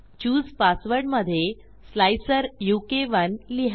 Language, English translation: Marathi, Choose a password, lets say slicer u k 1